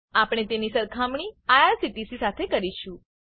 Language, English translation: Gujarati, We will compare them with IRCTC